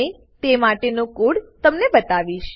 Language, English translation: Gujarati, And show you the code for same